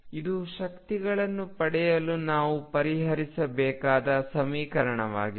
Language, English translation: Kannada, This is the equation that we have to solve to get the energies